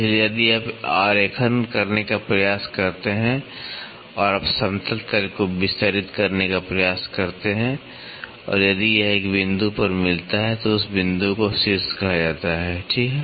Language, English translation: Hindi, So, if you try to draw and you try to extend the flat plane and if it meets at a point; so, that point is called as the apex, right